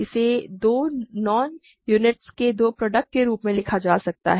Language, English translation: Hindi, It can be written as two product of two non units